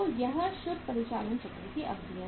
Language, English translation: Hindi, So this is the duration of the net operating cycle